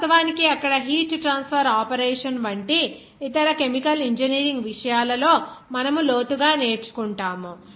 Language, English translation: Telugu, Of course, you will learn in depth in other chemical engineering subject like heat transfer operation there